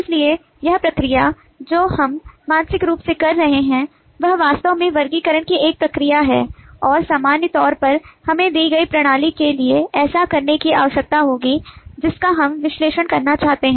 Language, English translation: Hindi, so this process that we are doing mentally is actually a process of classification and, in general, we will need to do this for given the system that we would like to analyse